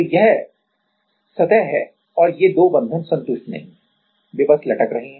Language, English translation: Hindi, So, this is the surface and these 2 bonds are not satisfied; they are just dangling